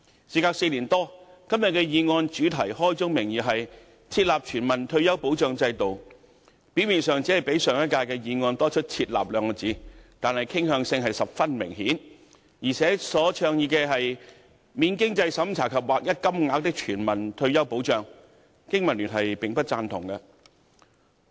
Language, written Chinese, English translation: Cantonese, 事隔4年多，今天這項議案的主題開宗明義為"設立全民退休保障制度"，表面上只較上屆的議案多了"設立"二字，但傾向性十分明顯，而且所倡議的"免經濟審查及劃一金額的全民退休保障"，經民聯並不贊同。, Four years later this motion today advocates Establishing a universal retirement protection system right at the outset . Although it seems that only the word establishing is added its inclination is very obvious . The Business and Professionals Alliance for Hong Kong does not agree with the non - means - tested universal retirement protection system with uniform payment that it advocates